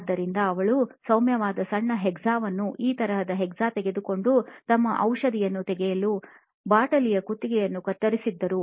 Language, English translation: Kannada, So she actually took a hacksaw, mild small hacksaw like this and cut the neck of the bottle to open the medicine bottle to get her medicines out